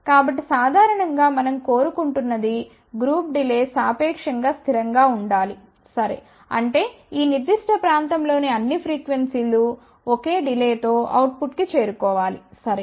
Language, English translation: Telugu, So, generally what we want we want group delay should be constant relatively, ok; that means, that all the frequencies in this particular region should reach the output with the same delay, ok